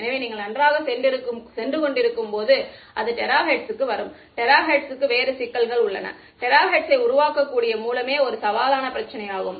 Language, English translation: Tamil, So, as you go to well will come to terahertz, terahertz has other problems it is to make a source that can generate terahertz is itself a challenging problem